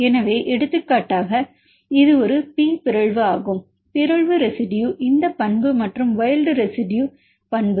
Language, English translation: Tamil, So, for example, this is a P mutant this property of the mutant residue and wild residue property the value wild type residue